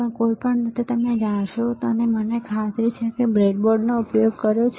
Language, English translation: Gujarati, So, anyway you will know and I am sure that you have used this breadboard